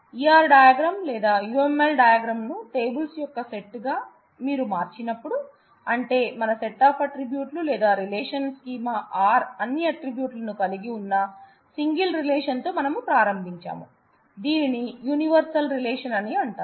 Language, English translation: Telugu, When you have converted the entity relationship diagram, the UML or the ER diagram into a set of tables, that is how we got our set of attributes or the relational schema R, it is also possible that we just started with a single relation containing all attributes, which is called the universal relation